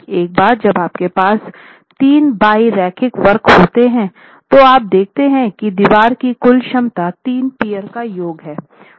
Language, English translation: Hindi, Once you have the three bilinear curves, you see that the total capacity of the wall is nothing but a summation of the capacities of the peer